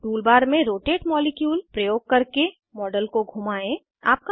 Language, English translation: Hindi, * Rotate the model using the rotate molecule in the tool bar